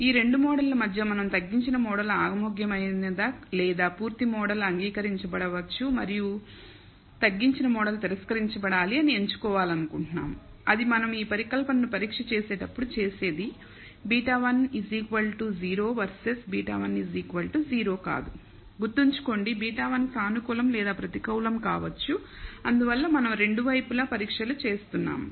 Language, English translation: Telugu, So, between these two models we want to pick whether the reduced model is acceptable or maybe the full model is to be accepted and the reduced model should be rejected that is what we are doing when we test this hypothesis beta 1 equal to 0 versus beta 1 not equal to zero Remember, the beta 1 can be the positive or negative and that is why we are doing a two sided test